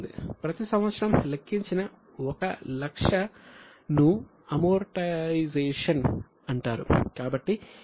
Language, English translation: Telugu, That 1 lakh which is calculated each year is called as amortization